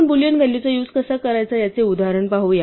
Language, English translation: Marathi, Let us look at an example of how we would use Boolean values